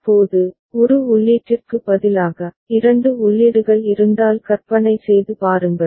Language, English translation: Tamil, Now, imagine if instead of one input, there are two inputs